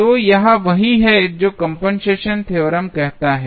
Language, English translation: Hindi, So, this is what compensation theorem says